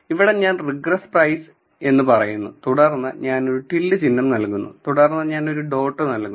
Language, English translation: Malayalam, So, I say regress price and then I give a tilde sign and then I say a dot